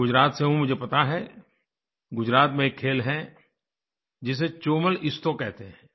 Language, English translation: Hindi, I known of a game played in Gujarat called Chomal Isto